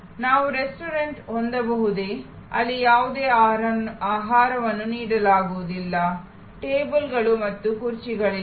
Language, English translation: Kannada, Can we have a restaurant, where no food is served, there are no tables and chairs